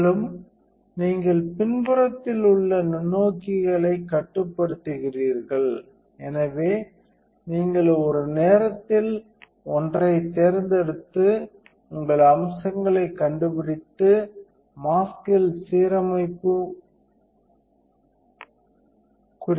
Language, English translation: Tamil, And pretty much much you do is you are this controls the microscopes in the back, so you can select one at a time and move around to you find your features, it looks like we found alignment marks on the mask